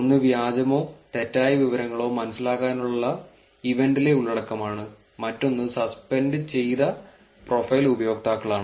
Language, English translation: Malayalam, One is the content from the event to understand the fake or misinformation, the other one is the suspended profile users